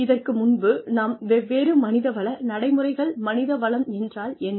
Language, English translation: Tamil, We have talked about different human resources practices